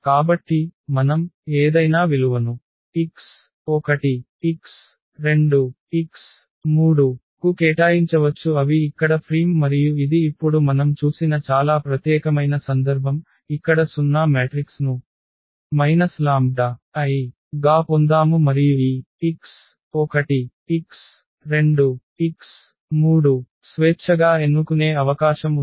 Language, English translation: Telugu, So, we can choose, we can assign any value to x 1 x 2 x 3 they are free here and that is a very special case which we have just seen now, that we got the 0 matrix here as A minus lambda I and then we have the possibility of choosing this x 1 x 2 x 3 freely